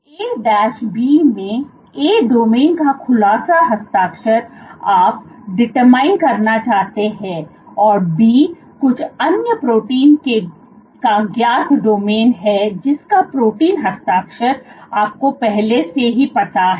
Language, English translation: Hindi, So, A B, so A is the domain whose unfolding signature you wish to determine, and B is a known domain of some other protein, whose protein signature you already know